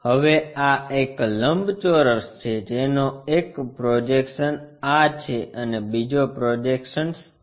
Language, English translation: Gujarati, Now, the rectangle is this one, having a projection that and the other projection is this